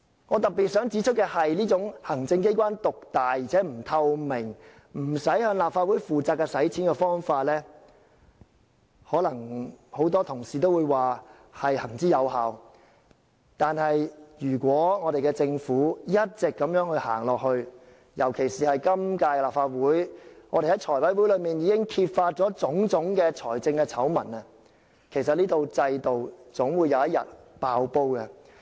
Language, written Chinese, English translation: Cantonese, 我特別想指出的是，這種行政機關獨大且不透明，不用向立法會負責的用錢方法，可能很多同事會說是行之有效，但如果政府一直如此走下去，尤其是我們在今屆立法會財務委員會上已揭發種種財政醜聞，這套制度有一天總會"爆煲"。, I would like to highlight one point while many Members may regard that such kind of executive dominance which lacks transparency and accountability to the Legislative Council in respect of public expenditure has been functioning well if the Government insists on adopting this practice the system will eventually collapse as evident from a series of financial scandals uncovered in the Finance Committee of the current - term Legislative Council